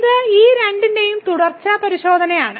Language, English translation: Malayalam, So, it is a continuity check of these two